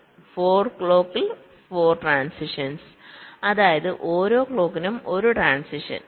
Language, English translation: Malayalam, so four transitions in four clocks, which means one transitions per clock